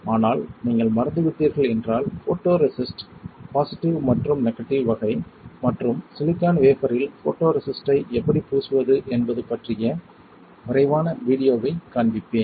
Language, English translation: Tamil, But, if you have forgotten then I will just show you quick video about photo resist positive and negative type and how to coat the photo resist on a silicon wafer ok